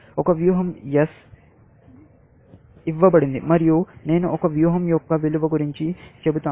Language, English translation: Telugu, Given a strategy, S, and I talk about the value of a strategy; how can I compute the value of a strategy